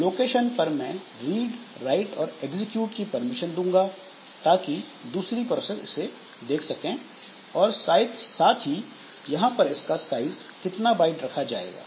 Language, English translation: Hindi, And this permission I will give the read write execute permissions like how the other processes will see this particular location and the size like how many bytes that we want